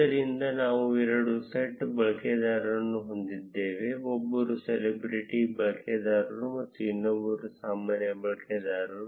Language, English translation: Kannada, So, we have two sets of users; one is the celebrity user and the other is a normal user